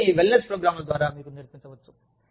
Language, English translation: Telugu, All of this, could be taught to you, through the wellness programs